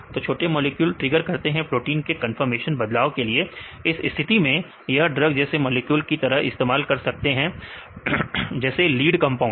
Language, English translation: Hindi, So, small molecules they trigger this proteins change the conformation right in this case they can use be used as a drug like molecule like a lead compounds